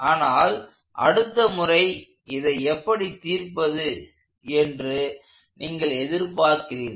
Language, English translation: Tamil, But you are anticipated to know how to solve these for the next time